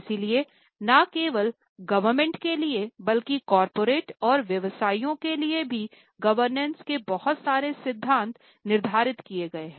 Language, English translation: Hindi, So, lot of governance principle, not only for government, even for corporates or businesses have been laid down